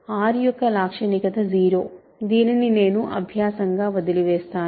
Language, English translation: Telugu, Characteristic of R is 0, this I will leave as an exercise